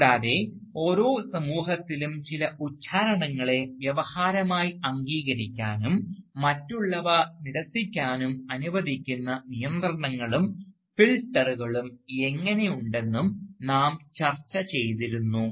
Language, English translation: Malayalam, And, we had also discussed, how within each society, there are checks and filters which allow certain utterances to be accepted as discourse and certain others to be rejected